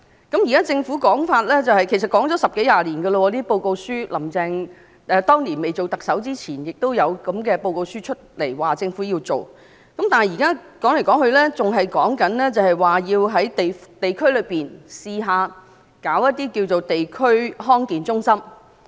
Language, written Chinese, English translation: Cantonese, 根據現在政府的說法——其實十多二十年前已有這類報告書，"林鄭"當年出任特首前也曾發表這類報告書，說政府要做這樣那樣，但說來說去，還是說要嘗試在各區設立地區康健中心。, The Governments present statement is in fact something that has existed more than 10 or 20 years ago . Such report had been published before Carrie LAM became the Chief Executive saying that the Government would do this and that . Even so it is still said that District Health Centres DHCs would be tried out in various districts